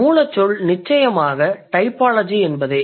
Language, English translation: Tamil, The root word is definitely typology